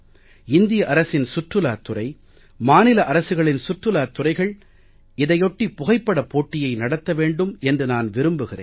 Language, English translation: Tamil, I would like the Tourism Department of the Government of India and the State Government to hold a photo competition on this occasion